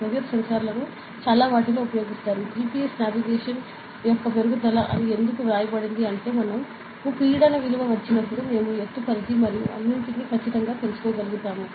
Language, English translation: Telugu, So, lot of applications are there for pressure sensor; so, why it is written as enhancement of GPS navigation is that, when we get the pressure value we will be exactly able to know the height range and all ok